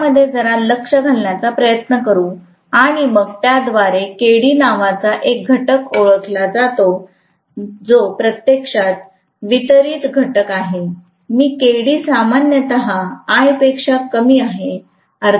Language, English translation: Marathi, Let us try to take a little bit of look into that and then that introduces a factor called Kd which is actually a distribution factor and Kd is generally less than 1